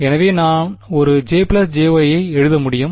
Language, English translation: Tamil, So, I can write a J plus b Y